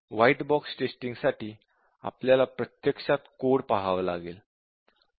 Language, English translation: Marathi, And then we have this white box testing, where we actually have to look at the code